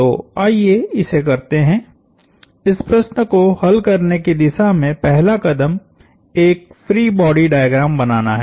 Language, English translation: Hindi, So, let us do this, the first step towards solving this problem is drawing a free body diagram